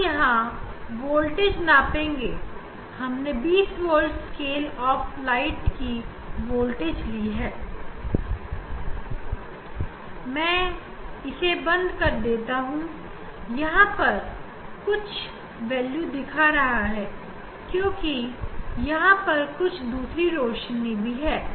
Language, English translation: Hindi, here we will measure the voltage it is we have chosen this 20 volt scale if light is, I put off, then it is showing some value that is because of other lights